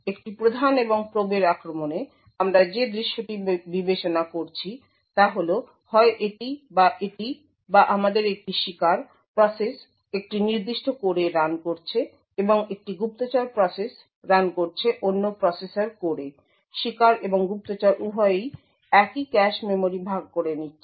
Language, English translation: Bengali, In a prime and probe attack the scenario we are considering is either this or this or we have a victim process running in a particular core and a spy process running in another processor core, the both the victim and spy are sharing the same cache memory